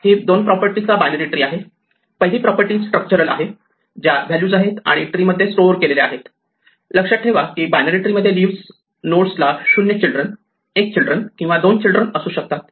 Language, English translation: Marathi, Heap is a binary tree with two properties, the first property is structural: which are the values which are stored in the tree, remember that leaves, nodes in a binary tree may have 0 children, 1 children or 2 children